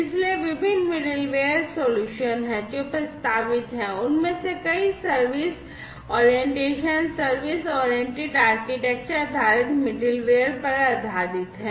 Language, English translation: Hindi, So, there are different middleware solutions, that are proposed and many of them are based on the service orientation, service oriented architecture based middleware